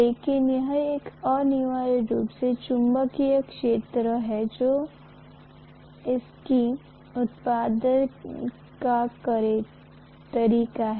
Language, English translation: Hindi, But this is essentially the magnetic field line that is the way it is produced